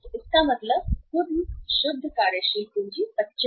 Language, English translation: Hindi, So it means out of the total net working capital 25%